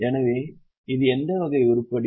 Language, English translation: Tamil, So, it is which type of item